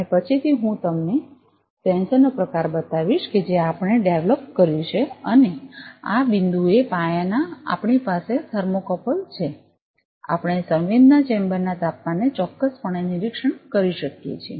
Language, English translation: Gujarati, And later I will show you the type of sensor that we developed and just at the point of this base we have a thermocouple, we can precisely monitor the temperature of the sensing chamber itself